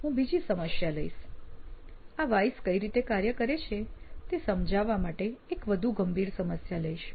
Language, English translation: Gujarati, So I will take another problem, this time a more serious problem to illustrate how these 5 Whys work